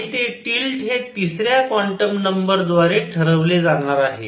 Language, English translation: Marathi, And that tilt is going to be decided by a third quantum number